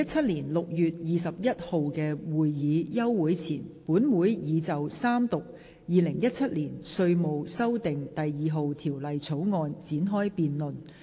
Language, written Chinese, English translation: Cantonese, 在2017年6月21日的會議休會前，本會已就三讀《2017年稅務條例草案》展開辯論。, Before the adjournment of the meeting of 21 June 2017 this Council had commenced the Third Reading debate on the Inland Revenue Amendment No . 2 Bill 2017